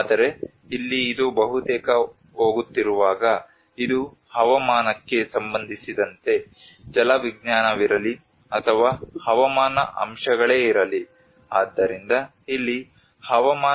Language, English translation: Kannada, But whereas here it is going almost these are climatically whether it is a hydrological or meteorological aspects so this is where the climate induced